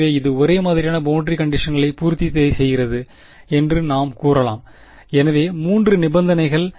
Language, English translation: Tamil, So, it we can say that it satisfies homogeneous boundary conditions ok, so three conditions